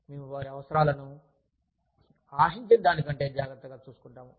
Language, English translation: Telugu, We take care of their needs, better than, they expect us to